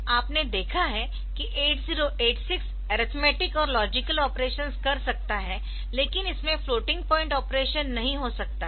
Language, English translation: Hindi, So, 8086 you see that it can do basic arithmetic in arithmetic and logic instructions, but it cannot have floating point operations and all that